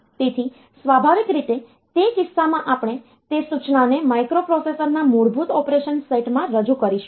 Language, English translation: Gujarati, So, naturally in that case we will be introducing that instruction into the microprocessor basic operation set